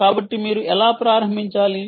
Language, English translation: Telugu, so, um, how do you start